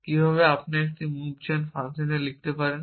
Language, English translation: Bengali, How can you write a move gen function